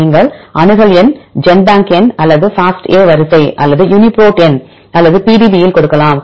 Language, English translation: Tamil, Either you can give the accession number, Genbank number or in FASTA sequence or Uniprot number or the PDB